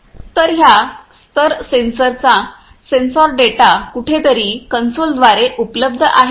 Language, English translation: Marathi, So these level sensors the sensor data are all available through some console somewhere